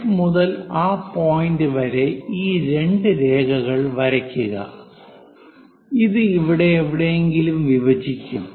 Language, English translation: Malayalam, From F to that point draw these two lines are going to intersect somewhere here